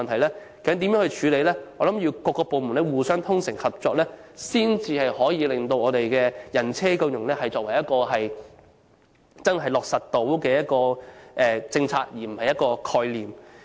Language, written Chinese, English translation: Cantonese, 這些問題應如何處理，我相信只有各部門互相衷誠合作，才可令"人車共融"成為一項可以落實的政策而不只是一個概念。, How should these issues be handled? . I believe the inclusion road users and bicycles can be implemented as a policy instead of just a concept only if departments concerned can work together sincerely